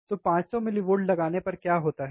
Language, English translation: Hindi, So, what happens if we apply 500 millivolts